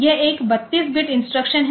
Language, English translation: Hindi, So, this is 32 bit instruction